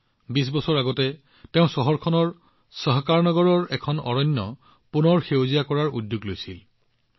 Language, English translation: Assamese, 20 years ago, he had taken the initiative to rejuvenate a forest of Sahakarnagar in the city